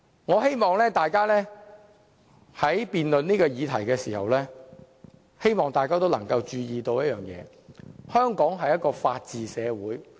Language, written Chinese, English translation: Cantonese, 我希望大家在就這項議案進行辯論時會注意一點，香港是法治社會。, I hope that Members will pay attention to one point during the debate of this motion and that is Hong Kong is governed by the rule of law